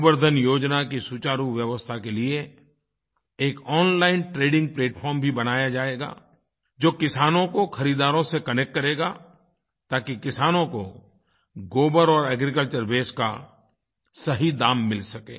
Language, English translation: Hindi, An online trading platform will be created for better implementation of 'Gobar Dhan Yojana', it will connect farmers to buyers so that farmers can get the right price for dung and agricultural waste